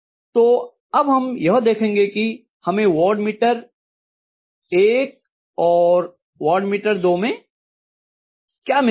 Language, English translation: Hindi, So let us try to see what is it that I am going to get in watt meter one and watt meter two respectively